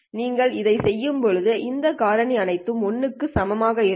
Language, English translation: Tamil, These are all these factors are all equal to 1